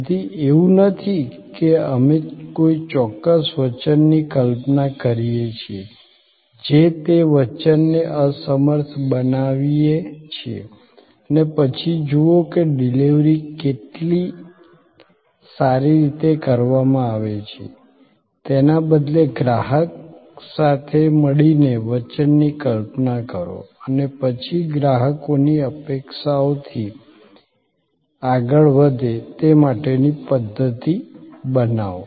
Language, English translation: Gujarati, So, it is not that we create are imagine a certain promise unable that promise and then, look at that how well the delivery as be made rather conceive the promise together with the customer and then, create systems to deliver beyond customers expectation go beyond the promise